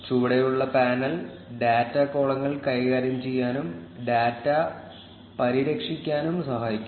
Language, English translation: Malayalam, The panel at the bottom can help you manipulate data columns and modify the data